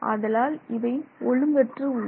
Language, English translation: Tamil, It will remain disordered